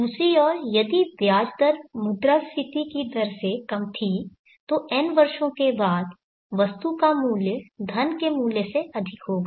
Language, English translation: Hindi, On the other hand if the interest rate had been lower than the inflation rate after n years the value of the item would have would be higher than the value of the money